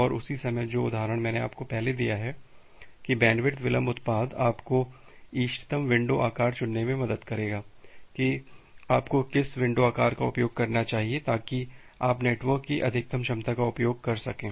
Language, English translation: Hindi, And the same time the example that I have given you earlier that bandwidth delay product will help you to choose the optimal window size that what window size you should use such that you can utilize the maximum capacity of the network